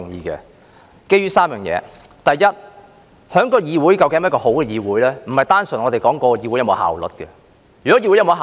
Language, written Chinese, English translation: Cantonese, 這是基於3點：第一，一個議會是否一個好的議會，並非單純講求議會是否有效率。, This is based on three points First whether a legislature is a good legislature is not simply a matter of whether it is efficient